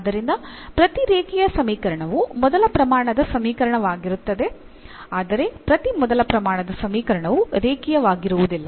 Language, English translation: Kannada, So, every linear equation is of first degree, but not every first degree equation will be a linear